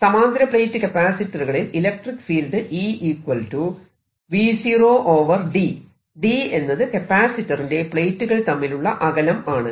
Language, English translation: Malayalam, now in a parallel plate capacitor, the only place where the electric field is is between the plates